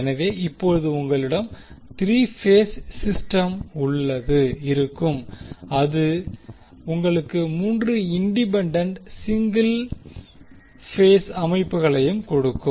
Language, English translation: Tamil, So, now, you will have 3 phase system which will give you also 3 independent single phase systems